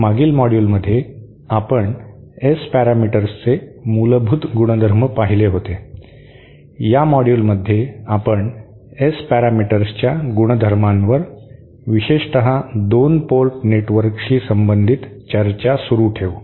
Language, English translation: Marathi, In the previous module we had seen the basic properties of the S parameters; in this module we will continue our discussion on the properties of S parameters especially as applied to 2 port networks